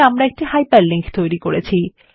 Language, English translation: Bengali, We have created a hyperlink